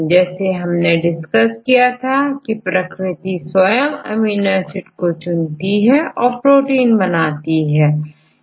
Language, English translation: Hindi, Then we discussed that nature selects particular specific combination amino acid residues to form a functional protein